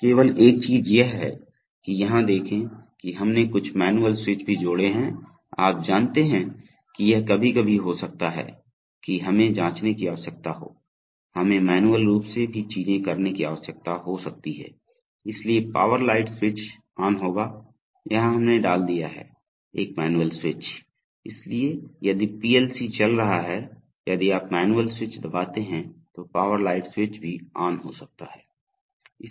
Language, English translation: Hindi, So only thing is that look here that we have also added some manual switch, you know it can be sometimes we may need to check, we may need to do things manually also, so the power light switch will be on, here we have put a manual switch, so if the PLC is running then if you press the manual switch then also power light switch maybe made on